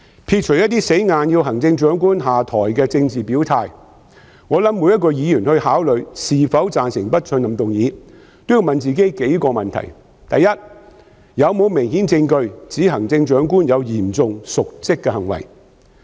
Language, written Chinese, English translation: Cantonese, 撇除一些硬要行政長官下台的政治表態，我相信每位議員考慮是否贊成不信任議案時，也要問自己數個問題：第一，有否明顯證據指行政長官有嚴重瀆職行為？, Discarding some statements of political stance firmly set on urging the Chief Executive to step down I believe that when Members consider whether they should support the motion of no confidence they should ask themselves several questions First is there any obvious evidence suggesting that the Chief Executive has committed serious dereliction of duty?